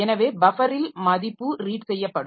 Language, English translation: Tamil, So, buffer where the value will be red